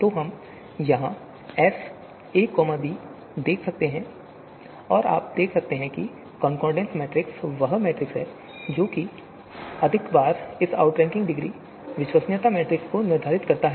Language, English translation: Hindi, So we can see here the capital S of a comma b and you can see the concordance matrix is the one which you know you know more often they now determines this outranking degree, the credibility matrix